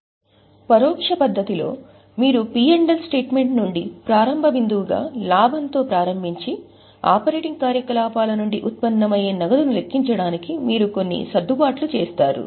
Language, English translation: Telugu, In indirect method what happens is you start with profit as a starting point from P&L account and then you make certain adjustments to calculate the cash which is generated from operating activities